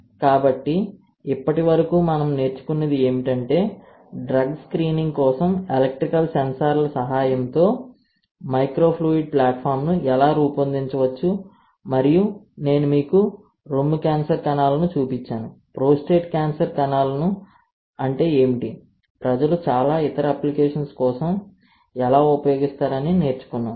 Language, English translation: Telugu, So, what we have learned till now is how can you design a microfluidic platform with the help of electrical sensors for drug screening and we have just, I have just shown you the breast cancer cells, what is prostate cancer cells, but the people have used for a lot of other applications, all right